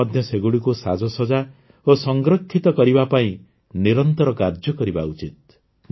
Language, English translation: Odia, We should also work continuously to adorn and preserve them